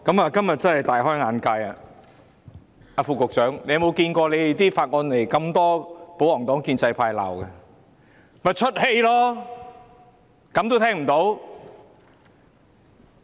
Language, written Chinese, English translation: Cantonese, 主席，我今天真的大開眼界，副局長有否看過提交的法案被這麼多保皇黨和建制派議員批評？, President it is really an eye - opener today . Has the Under Secretary ever seen that a Bill could draw criticisms from so many pro - Government and pro - establishment Members?